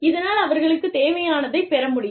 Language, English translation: Tamil, So, that they can get, what they need